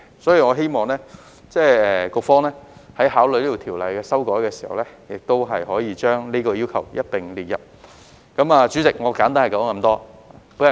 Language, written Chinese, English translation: Cantonese, 所以，我希望局方在考慮這項條例的修改時，亦可以一併考慮這項要求。, Therefore I hope that the Bureau when considering the amendment of the Ordinance can take this request into account as well